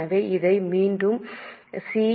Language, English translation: Tamil, So, we are marking it as C